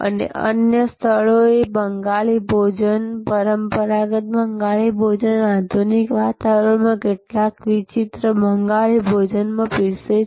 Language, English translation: Gujarati, And other places with serve Bengali cuisine, traditional Bengali cuisine in some exotic Bengali cuisine in a modern ambiance